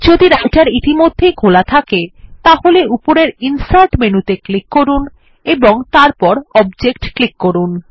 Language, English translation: Bengali, If Writer is already open, then click on the Insert menu at the top and then click on Object and choose Formula